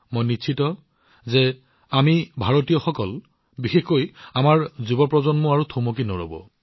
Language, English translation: Assamese, I have full faith that we Indians and especially our young generation are not going to stop now